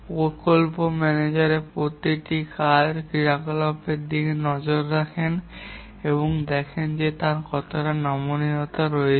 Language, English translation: Bengali, The project manager looks at each task or activity and finds out how much flexibility he has